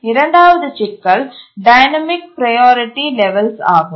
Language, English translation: Tamil, And the second issue is the dynamic priority levels